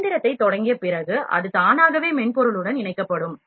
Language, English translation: Tamil, After switching the machine, itself gets connected to it is software